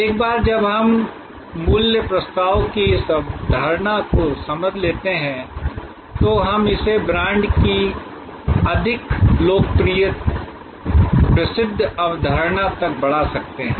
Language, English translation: Hindi, Once we understand this concept of value proposition, we can extend that to the more popular well known concept of brand